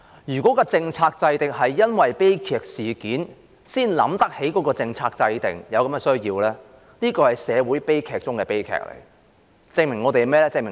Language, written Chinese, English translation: Cantonese, 如果是因為有悲劇事件才想起有政策制訂的需要，這是社會悲劇中的悲劇，證明了甚麼呢？, If only tragic incidents can remind the authorities of the need to formulate policies this is indeed the greatest tragedy of all in society . What does this show us?